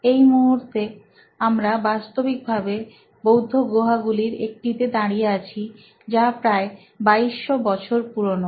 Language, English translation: Bengali, Right now, we are actually standing in one of the Buddhist caves which is close to 2200 years old, very very old